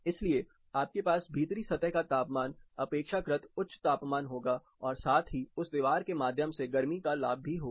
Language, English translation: Hindi, So, you will have relatively higher temperature inside surface temperature as well as heat gain through that particular wall